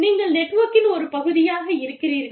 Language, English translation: Tamil, If you are part of a network